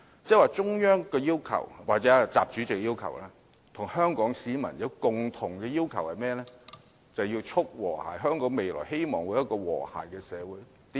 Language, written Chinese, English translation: Cantonese, 換言之，中央或習主席和香港市民均有一共同要求，就是促和諧，希望香港未來會有和諧的社會。, In other words the Central Authorities President XI and Hong Kong people do have a common expectation which is to promote harmony and this is a wish to see a harmonious Hong Kong in the future